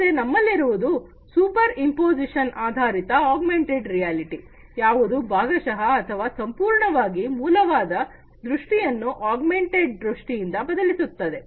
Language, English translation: Kannada, Then we have the superimposition based augmented reality, which partially or, fully substitutes the original view of the object with the augmented view